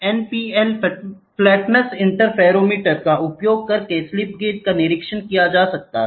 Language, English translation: Hindi, A slip gauge is being inspected by using NPL flatness interferometer